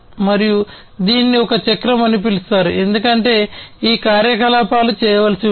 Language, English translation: Telugu, And it is called a cycle because these activities will have to be done